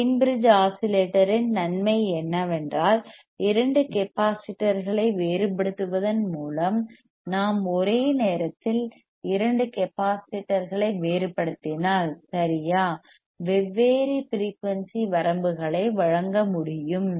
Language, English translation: Tamil, Advantage of Wein bridge oscillator is that by varying two capacitors; we if we varying two capacitors simultaneously right different frequency ranges can be provided